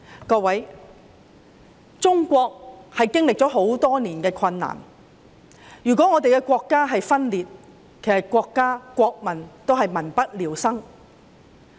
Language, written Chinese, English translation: Cantonese, 各位，中國經歷了很多年困難，如果我們的國家分裂，國家和國民也會民不聊生。, Members China has experienced many difficulties over the years . If our country is divided our country and our people will live in dire straits